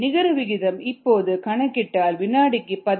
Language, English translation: Tamil, so the net rate happens to be fifteen kilogram per second